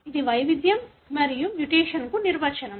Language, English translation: Telugu, This is the definition for variation versus mutation